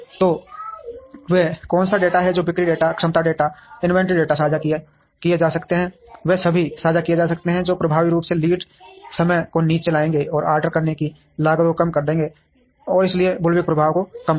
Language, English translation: Hindi, So, what are the data that can be shared sales data, capacity data, inventory data, they all can be shared which would effectively bring down the lead time, and will reduce the costs of ordering, and therefore it would bring down the bullwhip effect